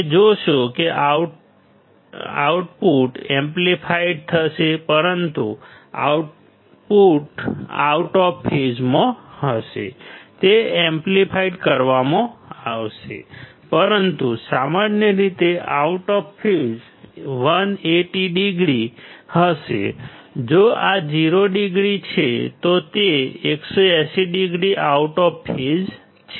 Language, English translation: Gujarati, in the case of inverting; you will see that the output would be amplified, but out of phase; it will be magnified, but generally 180 degree out of phase; if this is 0 degree, it is 180 degree out of phase